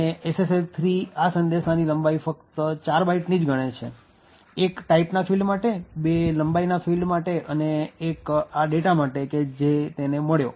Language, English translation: Gujarati, Now, the SSL 3 measures the length of this message as just 4 bytes, 1 for this type, 2 for length and 1 for this data which it has found